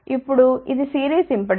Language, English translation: Telugu, Now, this is a series impedance